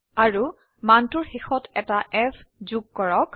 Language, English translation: Assamese, And add an f at the end of the value